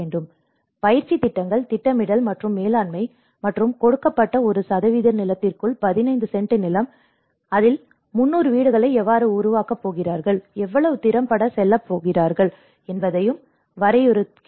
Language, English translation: Tamil, So there is also training programs, the planning and management and also defining within the given cent of land, 15 cents of land, how you are going to build 300 housing, how effectively you are going to go